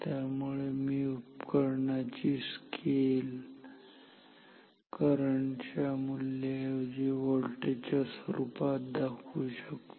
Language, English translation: Marathi, So, I can mark the scale of the instrument in terms of the voltage and instead of the value of the current ok